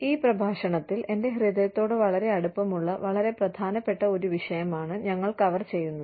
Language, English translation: Malayalam, In this lecture, we will be touching upon, a very, very, important topic, that is very close to my heart